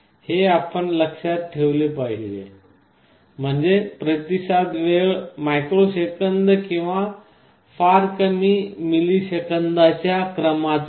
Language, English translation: Marathi, This you should remember; that means, the response time is not of the order of microseconds or very lower milliseconds